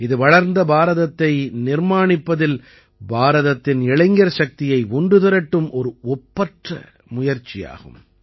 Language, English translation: Tamil, This is a unique effort of integrating the youth power of India in building a developed India